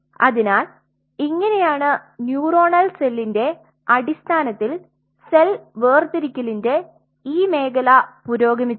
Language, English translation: Malayalam, So, this is how this, this area of cell separation in terms of the neuronal cell has progressed